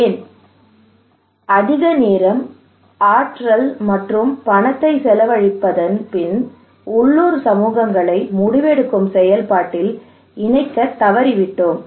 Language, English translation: Tamil, Why after spending so much of time, energy and money, we fail to incorporate communities local communities into the decision making process